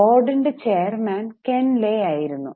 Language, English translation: Malayalam, So, board consists of Ken Lay who was the chair